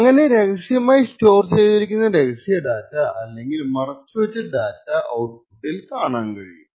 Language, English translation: Malayalam, Thus, we see that the secret data stored secretly or concealed in the device is visible at the output